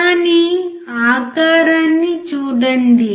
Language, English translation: Telugu, But look at the shape